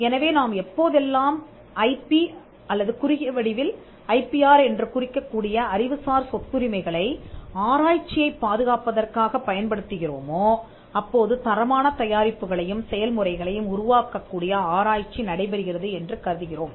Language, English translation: Tamil, So, when whenever we use IP or Intellectual Property Rights IPR as a short form for protecting research, we are assuming that there is research that is happening which can result in quality products and processes that emanate from the research